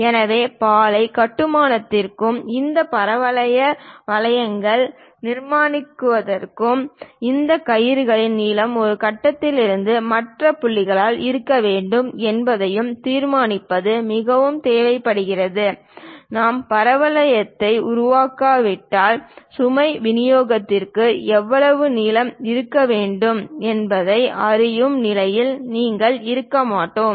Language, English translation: Tamil, So, for bridge construction also constructing these parabolic curves and determining what should be this rope length from one point to other point is very much required; unless we construct the parabola, we will not be in a position to know how much length it is supposed to have for the load distribution